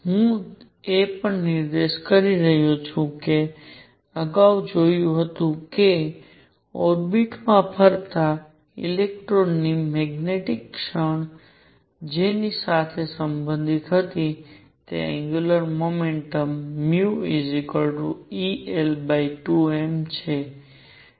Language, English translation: Gujarati, I also point out that we saw earlier that the magnetic moment of electron going around in an orbit was related to it is angular momentum as mu equals e l over 2 m